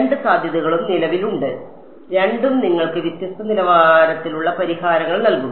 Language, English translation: Malayalam, Both possibilities exist and both will give you different quality of solutions ok